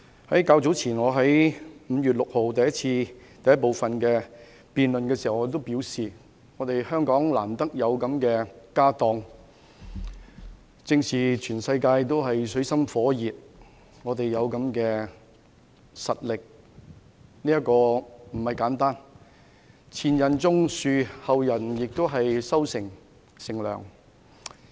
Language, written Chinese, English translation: Cantonese, 我較早前在5月6日第一個辯論環節中已表示，香港難得有這樣豐厚的"家當"，而當全世界都處於水深火熱之中時，我們可以有這種實力，其實並不簡單。所謂"前人種樹，後人乘涼"。, During the first debate session earlier on 6 May I already argued that this substantial asset of Hong Kong was hard to come by and it was actually not easy for Hong Kong to build up such strength when the whole world was in a dire situation